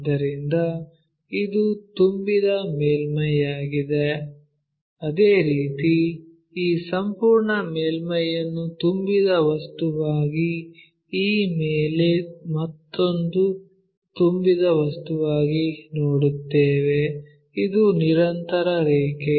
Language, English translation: Kannada, So, it is a filled surface, similarly this entire surface we will see as another filled object on this one as a filled object; so, a continuous line